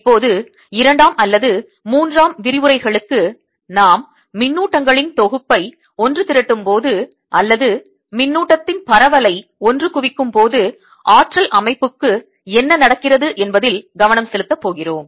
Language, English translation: Tamil, now on for two or three, for two or three lectures, we are going to focus on what happens to the energy to system when we assemble a set of charges or assemble a distribution of charge